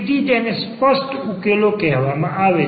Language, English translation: Gujarati, So, this is called the explicit solution